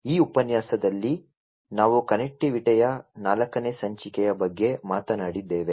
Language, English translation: Kannada, In this lecture, we talked about the 4th episode of Connectivity